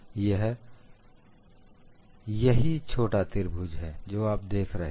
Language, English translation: Hindi, That is this small triangle, what you see here